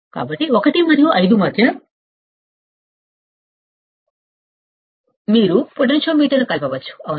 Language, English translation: Telugu, So, between 1 and 5 you can connect the potentiometer, right